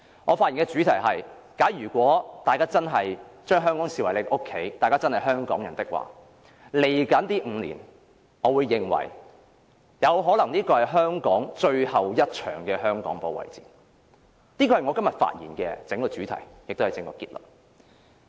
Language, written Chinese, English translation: Cantonese, 我發言的主題是，如果大家真的視香港為家，真的視自己為香港人的話，未來5年可能是香港最後一場的香港保衞戰，這是我今天發言的主題，亦是我的整個結論。, The theme of my speech is if we really see Hong Kong as our home and really see ourselves as Hongkongers the next five years Hong Kong may be the last battle to defend Hong Kong―this is the theme of my speech today as well as my overall conclusion . Of course someone will refute by saying that the theme of the Policy Address delivered by Carrie LAM is We Connect for Hope and Happiness